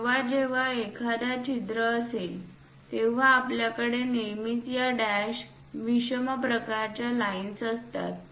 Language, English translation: Marathi, Whenever hole is there, we always have this dash the odd kind of lines